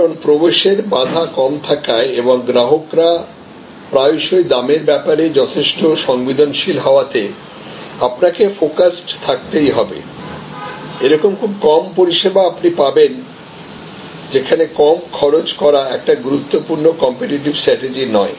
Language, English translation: Bengali, Because, as the entry barrier is low and customers are often quite price sensitive therefore, you need to stay focused that is hardly any service today, where low cost is not an important competitive strategy